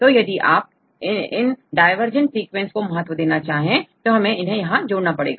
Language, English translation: Hindi, So, if you want to include the preference of these divergent sequences, then we need to give a weight